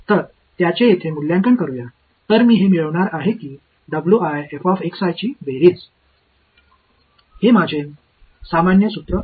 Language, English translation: Marathi, So, let us evaluate this over here; so, I am going to get its going to be sum of w i f of x i that is my general formula